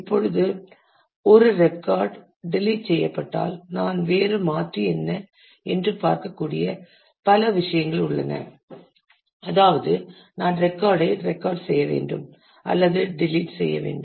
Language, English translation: Tamil, Now, if a if a record is deleted, then there are several things that I can do see that this is a different alternatives, that is if I record delete record I then